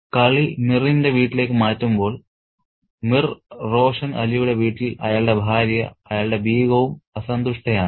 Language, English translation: Malayalam, So, when the game is moved to Mir's home, Mir Roshan Ali's home, his wife, his Begham is also unhappy